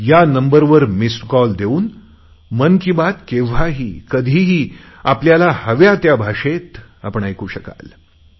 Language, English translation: Marathi, By giving a missed call on this number, you will be able to listen to 'Mann Ki Baat' at any time, wherever you are and in any language of your choice